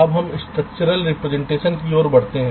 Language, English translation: Hindi, ok, fine, now let us move to the structural representation